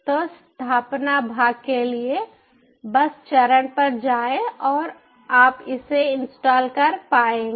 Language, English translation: Hindi, so for for the installation part, just ah, go to the step and you will be able to install it